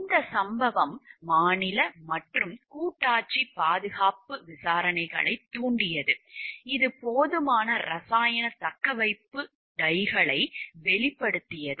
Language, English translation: Tamil, This incident triggered state and federal safety investigations that revealed inadequate chemical retaining dikes